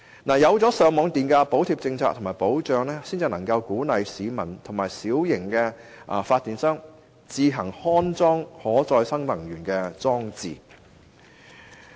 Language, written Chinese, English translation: Cantonese, 只有設定上網電價補貼的保障，才能夠鼓勵市民和小型發電商自行安裝可再生能源裝置。, Only the setting of a feed - in tariff as a form of guarantee can encourage people and small power companies to install renewable energy systems